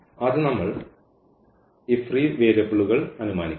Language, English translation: Malayalam, So, first we will assume these free variables